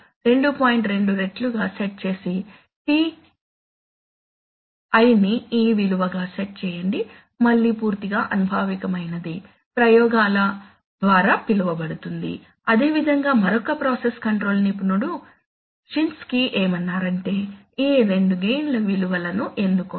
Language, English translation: Telugu, 2 times this value and set the TI as this value, again empirical, purely empirical found so called by experiments, similarly some other process control expert Shinskey says that, no, choose these two values of gain